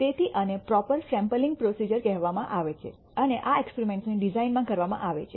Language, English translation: Gujarati, So, this is called proper sampling procedures and these are dealt with in the design of experiments